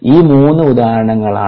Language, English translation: Malayalam, these three are examples